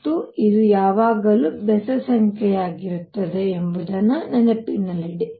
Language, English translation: Kannada, And keep in mind this will be always be odd number